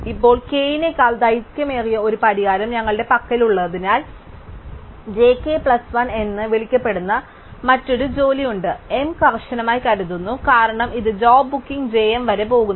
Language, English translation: Malayalam, Now, because we have a solution which is longer than k, there is another job after this called j k plus 1, assuming that m is strictly, because this goes up to job booking j m